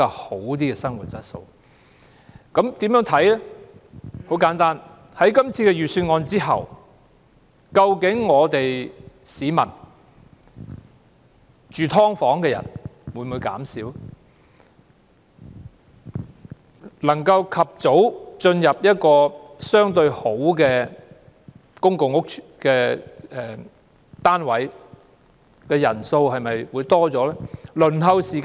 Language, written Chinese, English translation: Cantonese, 很簡單，我們應該看看在今次的預算案通過後，究竟居於"劏房"的市民會否減少？能夠及早入住環境相對較好的公共屋邨單位的人數會否增加？, After the passage of this years Budget we should look at whether fewer people will reside in subdivided units; whether more people can move into units of public housing estates sooner for a relatively better living environment; and whether the waiting time for public rental housing will be shortened